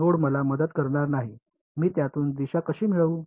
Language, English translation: Marathi, Node is not going to help me how do I get direction out of it